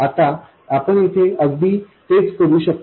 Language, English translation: Marathi, Now we can do exactly the same thing here